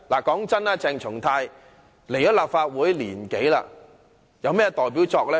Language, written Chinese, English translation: Cantonese, 坦白說，鄭松泰進入立法會1年多，他有甚麼"代表作"？, Frankly speaking CHENG Chung - tai has joined the Council for more than a year now what is the masterpiece of his work?